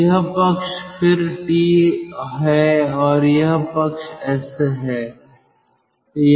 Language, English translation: Hindi, so this side is again t and this side is s